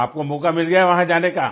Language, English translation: Hindi, So you got an opportunity to go there